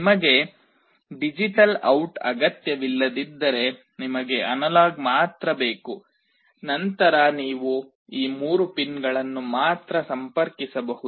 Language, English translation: Kannada, If you do not require the digital out you want only the analog out, then you can only connect these three pins